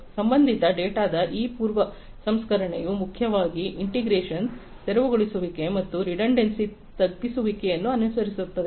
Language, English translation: Kannada, And this pre processing of relational data mainly follows integration, clearing, and redundancy mitigation